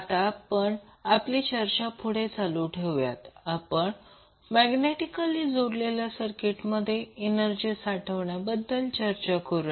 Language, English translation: Marathi, So we will continue our decision today and we will talk about energy stored in magnetically coupled circuits